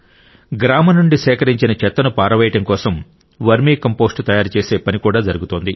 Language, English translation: Telugu, The work of making vermicompost from the disposed garbage collected from the village is also ongoing